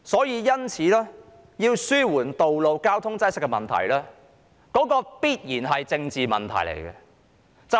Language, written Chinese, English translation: Cantonese, 因此，要紓緩道路交通擠塞的問題，這必然是一個政治問題。, For this reason the alleviation of road traffic congestion is certainly a political issue